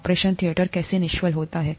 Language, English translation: Hindi, How is an operation theatre sterilized